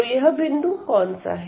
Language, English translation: Hindi, So, what is this point here